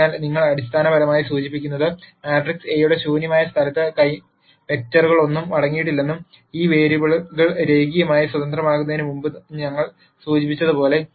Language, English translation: Malayalam, So, this basically implies that null space of the matrix A does not contain any vectors and as we mentioned before these variables are linearly independent